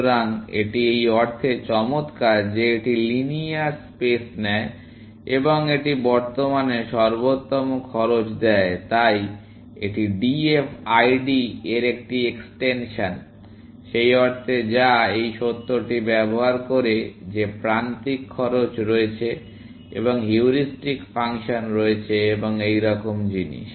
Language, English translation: Bengali, So, it is nice in the sense, that it takes linear space, and it gives currently, optimal cost so, it is an extension of DFID, in that sense, which uses this fact that there are edge cost and there is heuristic function and things like that